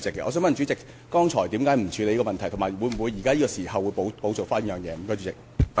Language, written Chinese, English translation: Cantonese, 我想問主席，剛才為何不處理有關事項，以及會否現在補做？, I would then like to ask the President why the business was not transacted just now and whether it would be done now